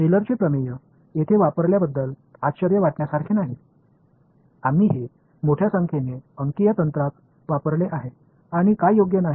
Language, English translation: Marathi, Not surprisingly the Taylor’s theorem comes of use over here, we have used this extensively in numerical techniques and what not right